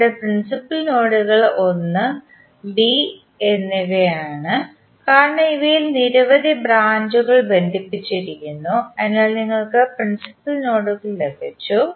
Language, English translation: Malayalam, The principal nodes here are 1 and B because these are the only two nodes where number of branches connected at three, so you have got principal nodes